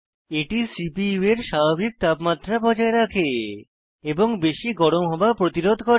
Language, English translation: Bengali, It keeps the temperature of the CPU normal and prevents overheating